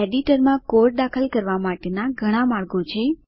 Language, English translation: Gujarati, There are several ways to enter the code in the editor